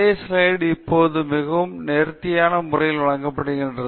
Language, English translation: Tamil, So, the same slide is now being presented in a much more elegant way with lot of things corrected